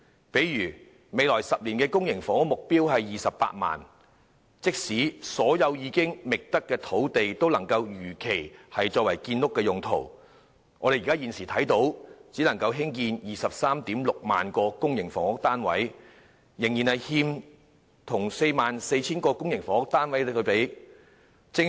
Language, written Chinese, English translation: Cantonese, 例如，未來10年的公營房屋目標供應量是 280,000， 但即使所有已覓得的土地能如期作建屋用途，也只能建成 236,000 個公營房屋單位，尚欠興建 44,000 個公營房屋單位的土地。, For instance the target of public housing supply in the next 10 years is 280 000 units . But even if all identified sites can be used for housing construction as scheduled the number of public housing units that can be constructed will just be 236 000 . There is not yet any land for constructing the shortfall of 44 000 public housing units